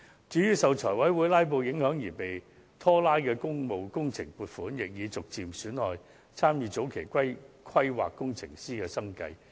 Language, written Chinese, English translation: Cantonese, 至於受財委會"拉布"影響而被拖延的工務工程亦陸續出現問題，嚴重影響參與前期規劃工程師的生計。, Besides problems associated with delay in public works projects have kept emerging as caused by filibustering during meetings of the Finance Committee thus resulting in a serious blow to the livelihood of those engineers having engaged in advance work planning